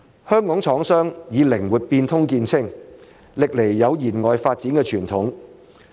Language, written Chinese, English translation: Cantonese, 香港廠商以靈活變通見稱，歷來有延外發展的傳統。, Have a long - established tradition of outward development Hong Kong manufacturers are known for their flexibility